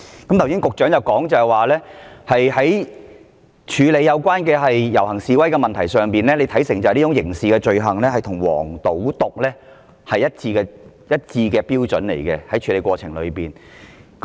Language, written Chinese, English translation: Cantonese, 剛才局長說，關於處理遊行示威的問題，他看成是刑事罪行，在處理過程中所採用的標準與"黃、賭、毒"案件一致。, The Secretary mentioned earlier that in respect of handling processions and demonstrations he regards them as criminal offences and the standards applied in the process of handling them are consistent with those cases associated with vice gambling and narcotics